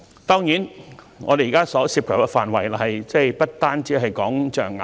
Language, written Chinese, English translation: Cantonese, 當然，現時這項法案所涉及的範圍不單是象牙。, Of course the current bill covers more than just ivory